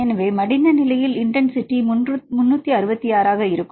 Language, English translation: Tamil, So, in the folded state if you see the intensity is 366 right